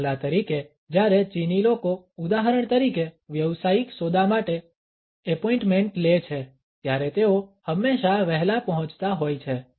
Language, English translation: Gujarati, For instance when the Chinese people make an appointment for example a business deal they were always arrive early